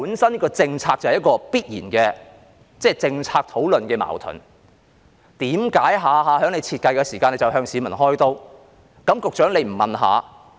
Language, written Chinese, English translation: Cantonese, 這政策本身必然有政策討論的矛盾，為何他們每次設計時都向市民開刀？, This policy is bound to be contradictory in policy discussions . Why do they invariably target the public every time they design a policy?